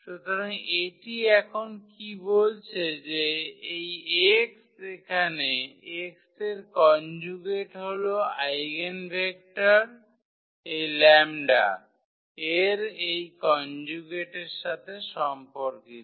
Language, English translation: Bengali, So, what this tells now that this x bar here the conjugate of x will be the eigenvector corresponding to this conjugate of lambda bar